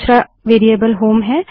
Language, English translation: Hindi, The next variable is HOME